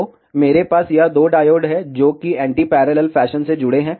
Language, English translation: Hindi, So, I have this two diodes, which are connected in anti parallel fashion